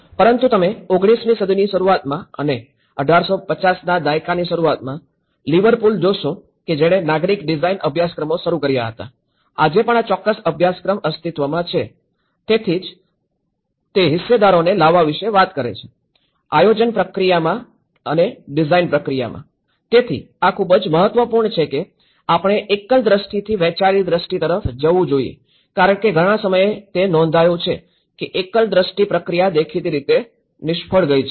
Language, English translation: Gujarati, But you see way back in early 19th century and 1850ís, Liverpool which have started the Civic design courses, even today this particular course do exist, so that is where they talk about bringing the stakeholders into the design process in the planning process so, this is very important that we have to move from singular vision to a shared vision because many at times they notice that a singular vision process have failed apparently